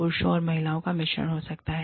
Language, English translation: Hindi, Could be, a mix of men and women